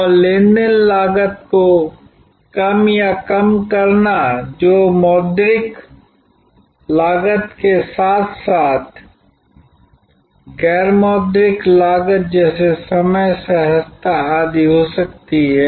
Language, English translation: Hindi, And reduction or minimization of transaction cost which can be monetary cost as well as non monetary cost like time, ease and so on